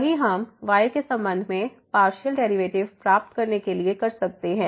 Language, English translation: Hindi, Same we can do to get the partial derivative with respect to